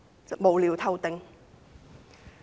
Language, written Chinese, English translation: Cantonese, 這是無聊透頂的。, This is utterly senseless